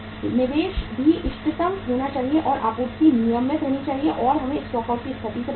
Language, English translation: Hindi, Investment also has to be optimum and supply has to be regular and we have to avoid the stock out situation also